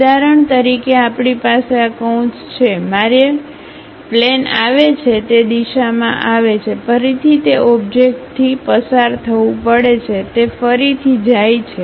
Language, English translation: Gujarati, For example: we have this bracket, I would like to have a plane comes in that direction goes, again pass through that object goes comes, again goes